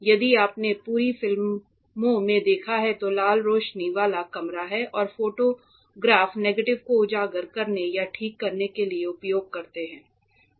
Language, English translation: Hindi, If you have seen in old movies right there is a red light the room with red light and the photographer is like exposing or curing the negative you know this photo so as to develop it present it